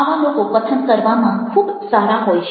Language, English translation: Gujarati, so these people are very good in a speaking